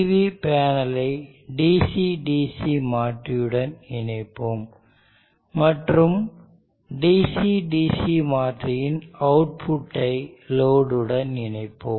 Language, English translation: Tamil, So let us connect a PV panel to a DC DC converter and the out of the DC DC converter is connected to a load